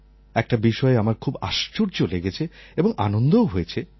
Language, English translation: Bengali, But there was something which surprised me and made me equally happy